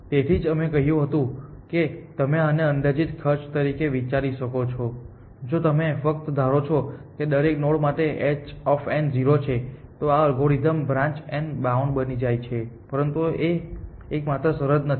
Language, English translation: Gujarati, That is why we said that you can think of this as an estimated cost, if you just assume h of n is 0 for every node then this algorithm becomes branch and bound essentially, but this is not the only condition